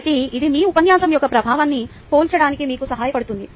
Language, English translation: Telugu, ok, so this helps you to compare the impact of your lecture